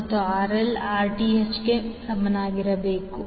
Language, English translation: Kannada, And RL should be equal to Rth